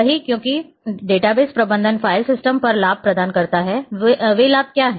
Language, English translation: Hindi, The same that is because database management provides advantages over file systems, what are those advantages